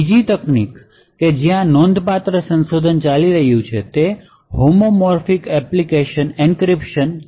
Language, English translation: Gujarati, Another technique where there is a considerable amount of research going on is to use something known as Homomorphic Encryption